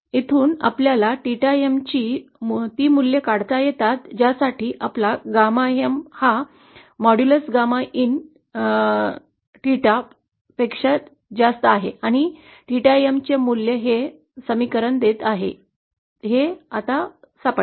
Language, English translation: Marathi, So from here we can find out the value of theta M for which we get gamma M for which modular’s of gamma and theta is equal to gamma M, so that value of theta is giving this equation is found out now